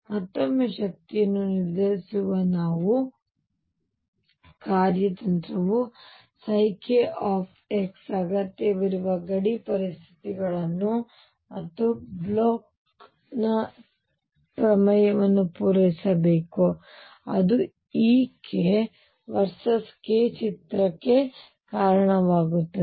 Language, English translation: Kannada, Again our strategy to determine the energy is going to be that psi k x must satisfy the required boundary conditions and Bloch’s theorem; and that will lead to e k versus k picture